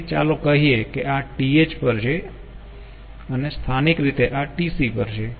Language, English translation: Gujarati, so lets say this is at th and locally this is at tc